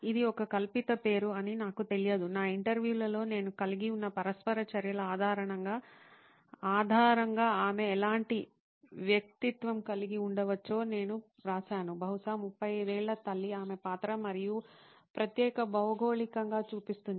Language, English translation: Telugu, I do not know them this was a fictional name, I wrote down what kind of personality she could be based on the interactions that I had in my interviews probably shows up as a 35 year old mom, her role and particular geography